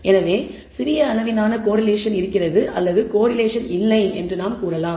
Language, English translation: Tamil, So, we can say there is little or no correlation